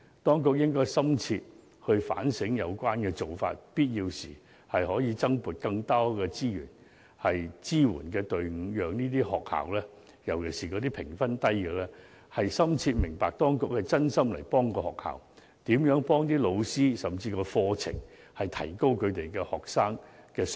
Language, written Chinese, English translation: Cantonese, 當局應深切反省有關做法，必要時增撥資源和加設支援隊伍，讓各學校，尤其是評分低的學校，深切明白當局是真心幫助學校，幫助老師，甚至改善課程，以提高學生的水平。, There is a need for the authorities to critically reflect on this practice . Where necessary the authorities should allocate additional resources and set up support teams through which schools especially those with low scores can be fully convinced that the authorities are sincere in helping them helping the teachers and improving the curriculums